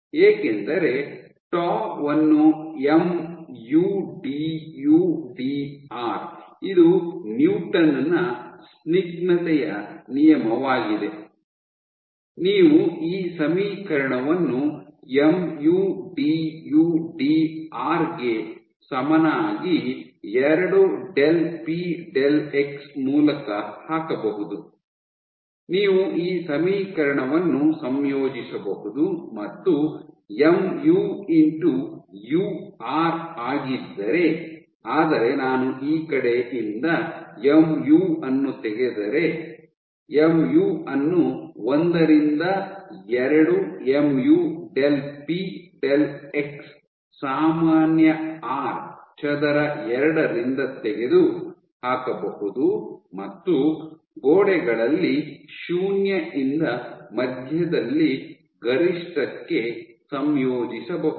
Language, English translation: Kannada, So, because tau is given by mu du dr this is Newton’s law of viscosity, you can put this equation mu du dr equal to r by 2 del p del x, you can take a you can integrate this equation so you can find out that mu into u is r if I remove mu from this side is 1 by 2 mu del p del x common r square by 2 and if I integrate from 0 at the walls to maximum at the center